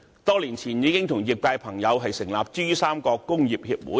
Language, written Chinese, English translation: Cantonese, 多年前，我們已和業界朋友成立珠三角工業協會。, Many years ago we already established the Pearl River Delta Council